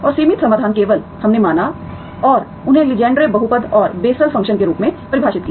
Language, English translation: Hindi, And bounded solutions only we considered and defined them as Legendre polynomial and Bessel functions, okay